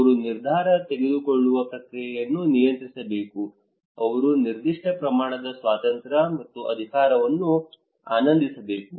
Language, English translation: Kannada, They should control the decision making process they should enjoy certain amount of freedom and power